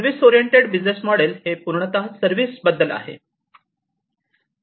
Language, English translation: Marathi, The service body oriented business model, it is all about services it is all about services